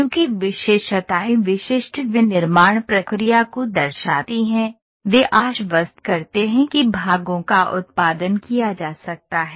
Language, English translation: Hindi, Since features reflect simple manufacturing processes, they assure that the path can be produced